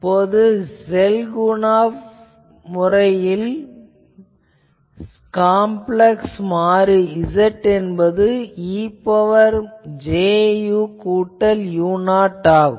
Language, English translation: Tamil, Now, let us define actually this Schelkunoff did this he defined a complex variable Z that is e to the power j u plus u 0